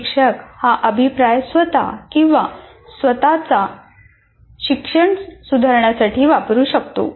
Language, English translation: Marathi, And also what happens, the teacher can use this feedback himself or herself to improve their own teaching